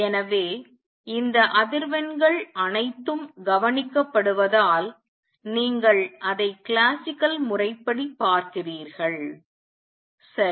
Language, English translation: Tamil, So, you see that classically since all these frequencies are observed, right